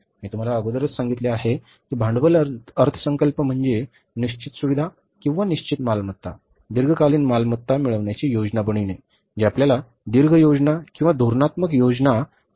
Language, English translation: Marathi, I told you earlier that capital budget means planning for acquiring the fixed facilities or the fixed assets, long term assets, which can help us to achieve our long range plans or the strategic plans